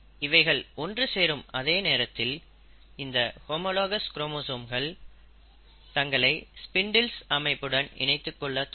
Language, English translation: Tamil, They they start coming together, at the same time, they also, the homologous chromosomes start attaching themselves to the spindle formation